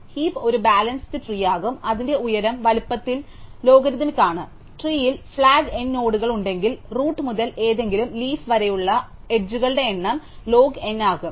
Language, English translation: Malayalam, So, the heap is going to be a balance tree whose height is logarithmic in the size that is if have N nodes in the tree, the height that is the number of edges from the root to any leaf will be log N